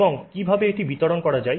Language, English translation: Bengali, And how is they distributed